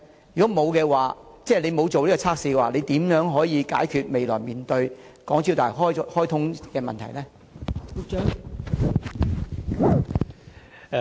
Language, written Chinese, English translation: Cantonese, 如果當局不曾進行測試，當局將如何解決未來大橋開通後可能面對的問題呢？, If the authorities have not done so how will the authorities resolve such possible problems after the commissioning of HZMB in the future?